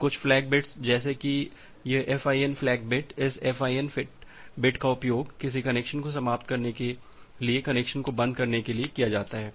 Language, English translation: Hindi, Just for the few flag bits like this FIN flag FIN bit like this FIN bit is used to close connection to finish a connection